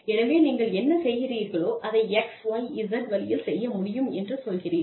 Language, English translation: Tamil, So, you say that, whatever you are doing, can be done in X, Y, Z way